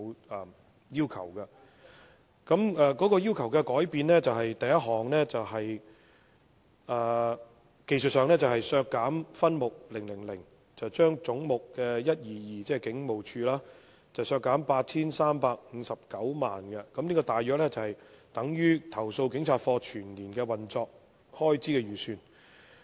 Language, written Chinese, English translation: Cantonese, 我要求的第一項改變，在技術上而言，是為削減分目000而將總目 122， 即香港警務處，削減 8,359 萬元，大約相當於投訴警察課全年的運作開支預算。, The first change requested by me is technically speaking that the sum under head 122 ie . the Hong Kong Police Force HKPR be reduced by 83.59 million in respect of subhead 000 approximately equivalent to the estimated annual operational expenses of the Complaints Against Police Office CAPO